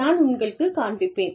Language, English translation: Tamil, I will just show you